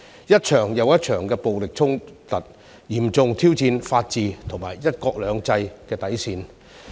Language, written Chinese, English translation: Cantonese, 一場又一場的暴力衝突，嚴重挑戰法治和"一國兩制"的底線。, Violent clashes one after another seriously challenged the rule of law and the limits of tolerance under one country two systems